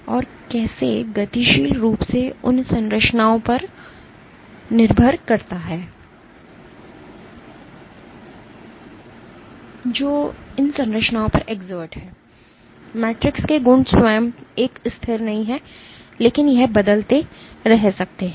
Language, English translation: Hindi, And how dynamically depending on forces which are exerted on these structures; the properties of the matrix itself is not a constant, but it can keep changing